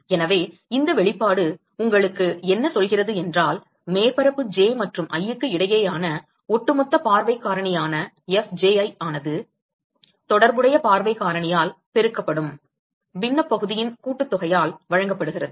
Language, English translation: Tamil, So, what this expression tells you is that, Fji which is the overall view factor between surface j and i is simply given by sum over the fractional area multiplied by the corresponding view factor